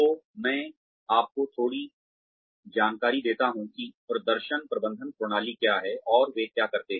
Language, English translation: Hindi, So, let me brief you, a little bit about, what performance management systems are, and what they do